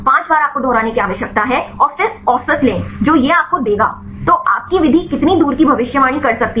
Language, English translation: Hindi, 5 times you need to repeat and then take the average this will give you; so, how far your method that could predict